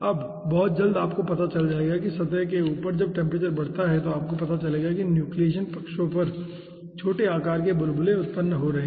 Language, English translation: Hindi, now, very soon, you will be finding out that over the surface, when the temperature increases, you will be finding out that small sized bubbles are being generated at the nucleation sides